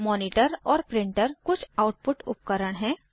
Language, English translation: Hindi, Monitor and printer are some of the output devices